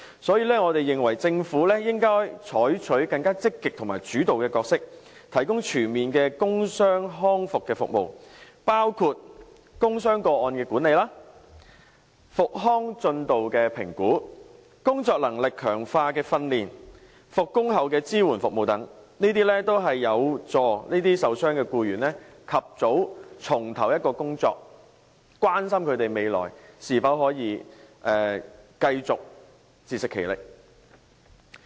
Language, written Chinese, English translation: Cantonese, 所以，我們認為政府應該採取更積極和主導的角色，提供全面的工傷康復服務，包括工傷個案的管理、復康進度的評估、工作能力強化的訓練和復工後的支援服務等，凡此種種均有助受傷僱員及早重投工作，關心他們的未來是否可以繼續自食其力。, Therefore we think that the Government should play a more active and leading role and provide comprehensive work injury recovery services including work injury case management recovery progress assessment training for enhancing working abilities and the provision of support services upon resumption of duties . All these can help injured workers return to work as early as possible and are also ways to show concern for their ability to remain self - subsistent in the days ahead